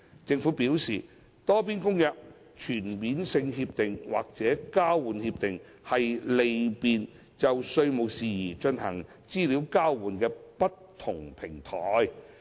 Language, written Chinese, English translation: Cantonese, 政府表示，《多邊公約》、全面性協定或交換協定是利便就稅務事宜進行資料交換的不同平台。, The Government has advised that the Multilateral Convention CDTAs or TIEAs are different platforms to facilitate EOI on tax matters